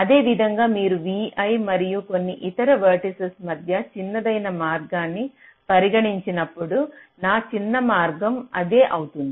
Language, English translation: Telugu, similarly, lets say, when you consider the shortest path between v i and some other vertices